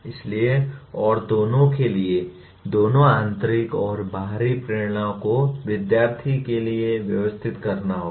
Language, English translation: Hindi, So and both of them, both intrinsic and extrinsic motivations will have to be arranged for the student